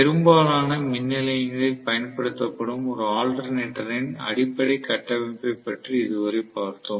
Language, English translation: Tamil, So, much so for the basic structure of an alternator that are used in most of the power station